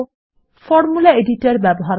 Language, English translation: Bengali, Now notice the Formula editor window